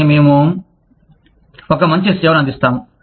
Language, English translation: Telugu, But, we will offer you better service